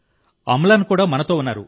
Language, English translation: Telugu, Amlan is also with us